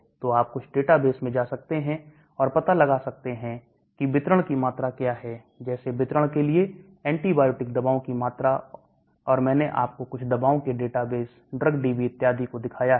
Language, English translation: Hindi, So you can go to some databases and find out what is the volume of distribution like for some of the antibiotics volume of distribution and also I showed you in some of those drugs database, drug DB and all that